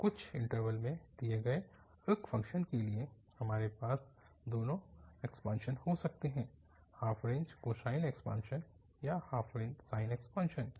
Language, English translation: Hindi, So, for a function given in some interval we can have both the expansion, the half range cosine expansion or half range sine expansion